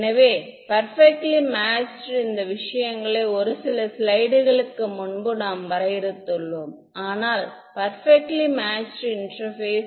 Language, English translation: Tamil, So, perfectly matched meant these things that is what we have defined in a few slides ago, but perfectly matched interface